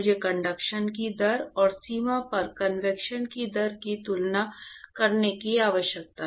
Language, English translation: Hindi, I need to compare the rate of conduction, and the rate of convection at the boundary, right